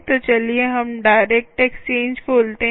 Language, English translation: Hindi, so lets open direct exchange